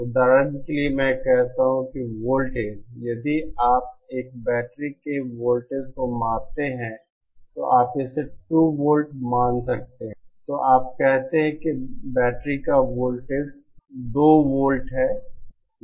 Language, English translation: Hindi, For example I say that the voltage, if you measure the voltage of a battery you might find it to be 2 volts then you say that the voltage of the battery is 2 volts